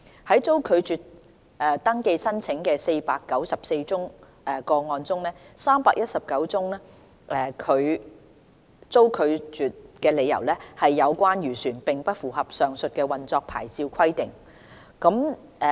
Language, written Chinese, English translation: Cantonese, 在遭拒絕登記申請的494宗個案中 ，319 宗被拒的理由是有關漁船並不符合上述的運作牌照規定。, Among the 494 rejected cases of registration application 319 were turned down on the grounds that the fishing vessels concerned did not meet the above mentioned operating licence requirement